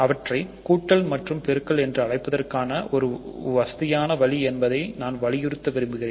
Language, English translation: Tamil, So, I want to emphasize also that it is a just a convenient way of calling them addition and multiplication